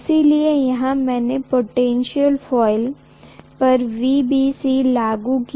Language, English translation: Hindi, So what I have done is to apply VBC to the potential coil